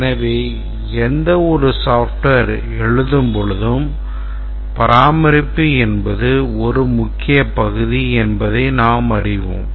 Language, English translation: Tamil, And therefore, while writing any software, maintenance, whether it is maintainable is a major concern